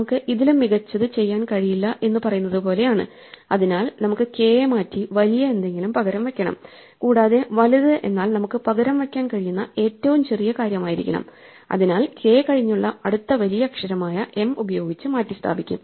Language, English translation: Malayalam, Well, what we need to do is that now is like say that we have with k we cannot do any better so we have to replace k by something bigger and the something bigger has to be the smallest thing that we can replace it by, so we will replace k at the next largest letter to its right namely m